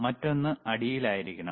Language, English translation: Malayalam, Another one should be at the bottom